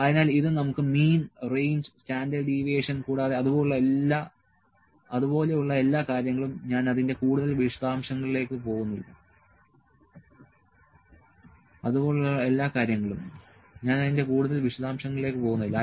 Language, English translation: Malayalam, So, this is and we have mean, range, standard deviation all those things I am not going to more details of that